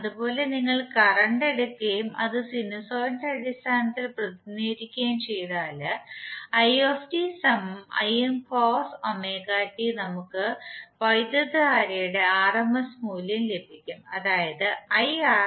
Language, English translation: Malayalam, Similarly if you take current that is it and we represent it in terms of sinusoid as Im cos omega t we will get the rms value of current that is Irms equal to Im by root 2